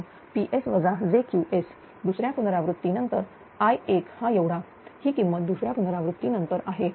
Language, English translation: Marathi, Therefore, P s minus j Q is I 1 is this much after second iteration these value is after second iteration right